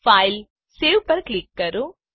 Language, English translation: Gujarati, Click on FilegtSave